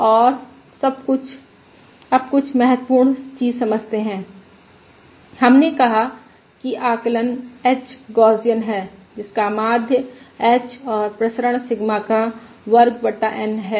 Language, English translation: Hindi, And now realise something important: we said that the estimate h is Gaussian, with mean h and variance Sigma Square divided by N